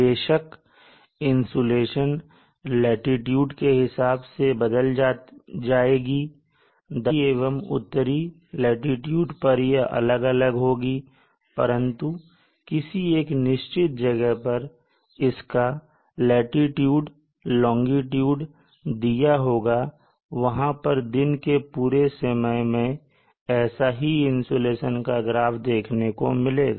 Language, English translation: Hindi, Of course this profile will change depending upon the latitude at the equator to be different had the northern latitudes, it will be different at the southern latitudes will be different but at a given longitude latitude point again at a given locale you will have a profile something like this over the day